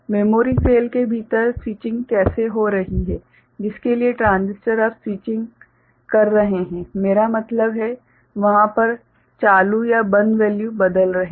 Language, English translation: Hindi, How the switching is taking place within the memory cell for which the transistors now switching I mean changing there ON or OFF value